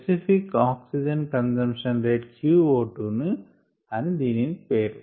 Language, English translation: Telugu, the specific oxygen consumption rate is the name for q o two